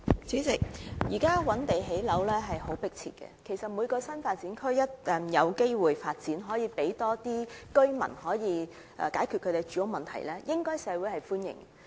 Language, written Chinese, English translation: Cantonese, 主席，現時覓地建屋是相當迫切的工作，而每個新發展區均有助解決更多居民的住屋需要，社會對此應表歡迎。, President at present identifying sites for housing construction is a rather pressing task and every NDA will help better address the housing needs of residents which should be welcome by the community